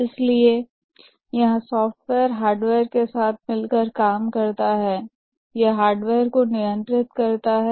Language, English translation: Hindi, Therefore, the software here works closely with the hardware